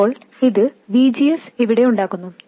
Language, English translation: Malayalam, Now this establishes VGS here